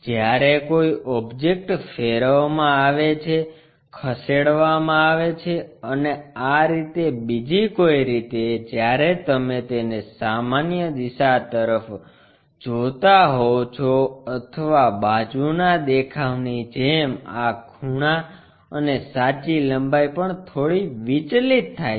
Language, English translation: Gujarati, When an object is rotated, lifted and so on so things, when you are looking either normal to it or side view kind of thing these angles and also the true lengths are slightly distorted